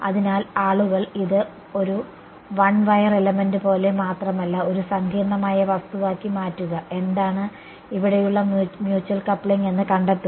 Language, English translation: Malayalam, So, people have used this as a model for not just like a one wire element, but make it a complicated object find out what is the mutual coupling over there ok